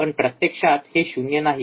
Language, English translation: Marathi, But in reality, this is not 0